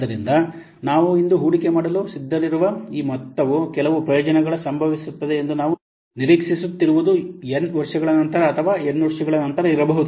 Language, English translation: Kannada, So, this amount that we are willing to invest today for which we are expecting that some benefit will occur might be after n years or a number of years or so